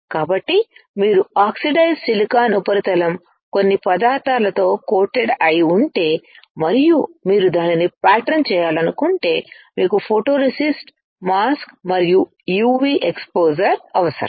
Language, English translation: Telugu, So, if you have oxidised silicon substrate coated with some material and if you want to pattern it you will need a photoresist, a mask, and a UV exposure